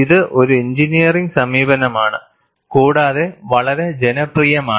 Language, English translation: Malayalam, It is an engineering approach; very popular